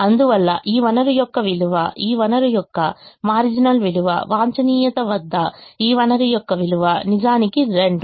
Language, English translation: Telugu, therefore, the worth of this resource, the marginal value of this resource, the worth of this resource at the optimum is indeed two